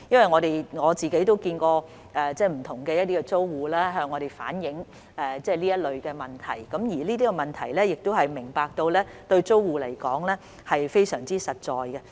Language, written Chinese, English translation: Cantonese, 我曾親自接見不同的租戶，他們也有向我們反映這類問題，而我們明白這些問題對租戶來說是非常實在的。, I have personally met with various tenants who have also relayed to us such problems and we understand that these problems are what they are most concerned about